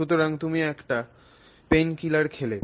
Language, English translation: Bengali, So, you take a painkiller